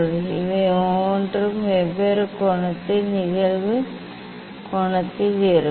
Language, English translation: Tamil, for these each one for different angle of incident angle that